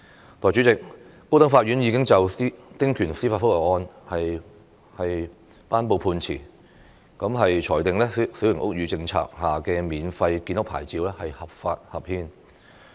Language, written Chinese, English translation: Cantonese, 代理主席，高等法院已就丁權司法覆核案件頒布判詞，裁定小型屋宇政策下的免費建屋牌照合法合憲。, Deputy President the High Court has handed down its judgment on a judicial review case concerning small house concessionary rights saying that the free building licence under the Small House Policy is legal and constitutional